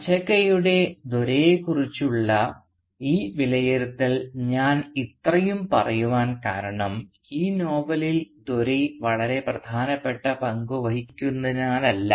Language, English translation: Malayalam, Now the reason I dwelt on this assessment of Dore by Achakka at such great length is not because Dore plays a very significant role in this novel